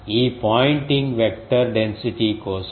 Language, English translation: Telugu, This pointing vector is for density